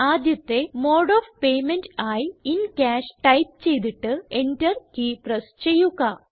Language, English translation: Malayalam, Lets type the first mode of payment as In Cash, and then press the Enter key from the keyboard